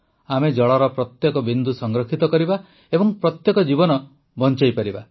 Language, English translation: Odia, We will save water drop by drop and save every single life